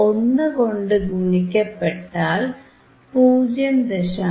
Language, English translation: Malayalam, Was 1 by 10 which is 0